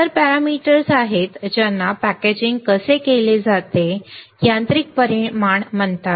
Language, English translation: Marathi, There are other parameters which are called mechanical dimensions right how the packaging is done